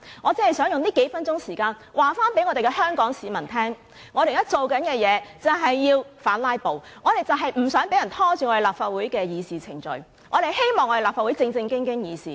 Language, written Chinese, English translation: Cantonese, 我只想用這數分鐘告訴香港市民，我們現在做的事就是要反"拉布"，我們不想立法會的議事程序被人拖延，我們希望立法會能正正經經地議事。, I will not waste time on this . I simply wish to spend this few minutes on telling Hong Kong people that we are currently working against filibuster in the hope that the Legislative Council can operate properly again without being delayed and disturbed anymore